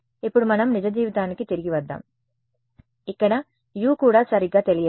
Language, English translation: Telugu, Now let us come back to real life where U is also not known right